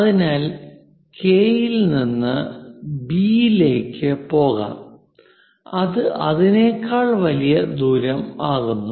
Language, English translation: Malayalam, So, let us pick from K to B, a distance greater than that